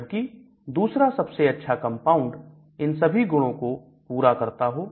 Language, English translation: Hindi, But the second best compound may satisfy all these properties